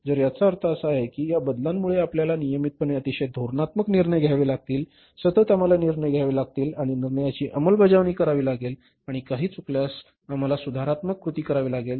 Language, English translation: Marathi, So, it means because of these changes now every now and then we will have to take very very strategic decisions regularly, continuously we have to take decisions and implement the decisions and if anything goes wrong we have to take the corrective actions